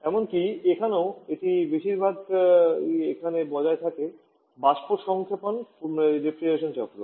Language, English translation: Bengali, And even there also it is mostly the one that is written in the vapour compression refrigeration cycle